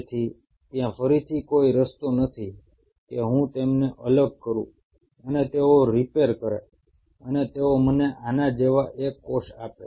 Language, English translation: Gujarati, So there is as of now, again, as of now, there is no way that I separate them and they repair and they give me single cells like this